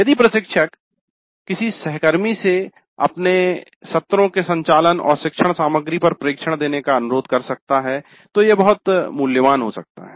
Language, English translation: Hindi, If the instructor can request a colleague to give observations on the contract of the sessions and instructional material it can be very valuable